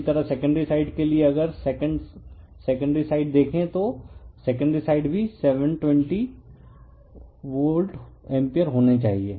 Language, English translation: Hindi, Similarly, for the your secondary side if you look * your second side, the secondary side also has to be 72